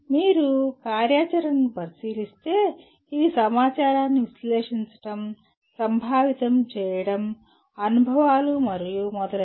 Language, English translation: Telugu, But if you look at the activity, it is analyzing, conceptualizing information, experiences and so on